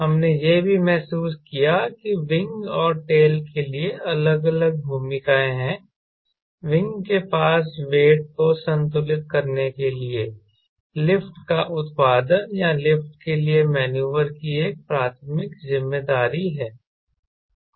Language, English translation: Hindi, we also realize that there are distinct roles for wing and tail: wing, as a primary responsibility of producing lift to balance weight or live for maneuver